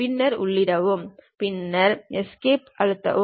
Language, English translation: Tamil, Then Enter, then press Escape